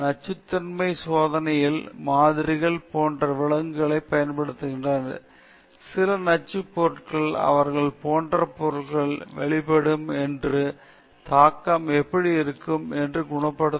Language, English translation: Tamil, Using animals as models in toxicity testing; certain toxic substances, if they are exposed to such substances what are the impact and how they can be cured; all these aspects have to be studied, for that animals are being used